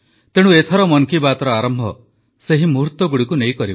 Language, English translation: Odia, Let us hence commence Mann Ki Baat this time, with those very moments